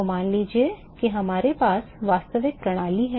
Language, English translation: Hindi, So, supposing if you have in a real system